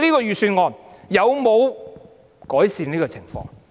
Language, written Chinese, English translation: Cantonese, 預算案有否改善這種情況？, Has the Budget made any improvement to this situation?